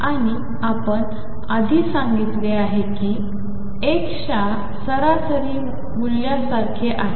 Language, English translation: Marathi, And we said earlier that this is like the average value of x